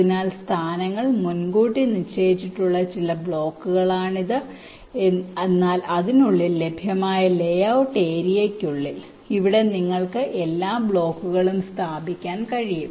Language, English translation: Malayalam, so these are some blocks whose positions are pre assigned, but within the layout layout area that is available to it in between here, within here, you can place all your blocks